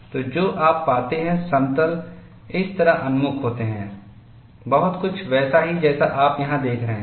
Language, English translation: Hindi, So, what you find is, the planes are oriented like this, very similar to what you see here